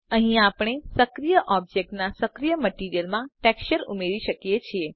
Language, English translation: Gujarati, Here we can add a texture to the active material of the active object